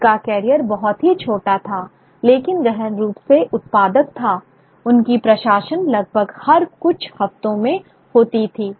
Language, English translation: Hindi, He died young, he was a very short but intensely productive career, publishing almost every few weeks